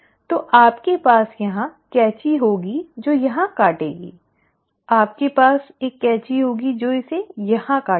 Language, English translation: Hindi, So you will have a scissor cutting it here, you will have a scissor which will cut it here